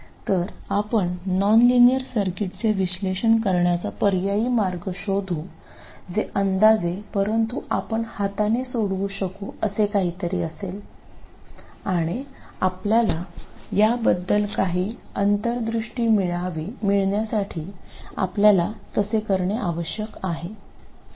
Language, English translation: Marathi, So, what we will do is to find an alternative way of analyzing nonlinear circuits which is approximate but at least something that we can carry out by hand and that we need to be able to do in order to get any insights into our circuits